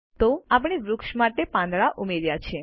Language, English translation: Gujarati, So, we have added leaves to the tree